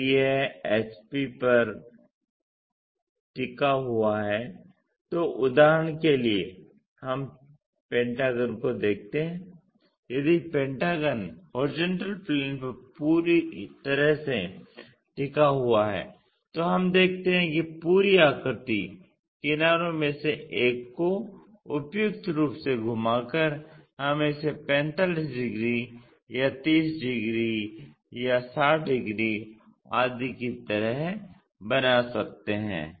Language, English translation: Hindi, If it is resting on the horizontal plane we see the hexagon completely for example,ah pentagon completely if the pentagon is completely resting on the horizontal plane we see that entire shape, by rotating it suitably one of the edge we can make it like 45 degrees or 30 degrees, 60 degrees and so on